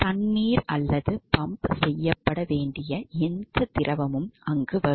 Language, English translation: Tamil, So, the water or any fluid that is to be pumped will be coming over here